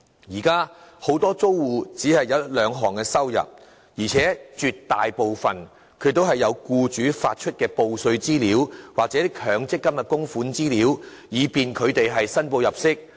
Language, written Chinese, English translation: Cantonese, 現時很多租戶只有一兩項收入，而且絕大部分也有僱主發出的報稅資料，又或強積金的供款資料可供他們申報入息之用。, At present many of PRH households have income from only one or two sources most of which are supported by relevant information furnished by employers or the information of their mandatory provident fund contributions